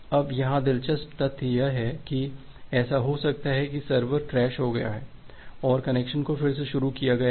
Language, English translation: Hindi, Now the interesting fact here is that, it may happen that the server has crashed and re initiated the connection